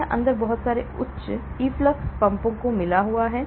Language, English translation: Hindi, it has got very high set of efflux pumps inside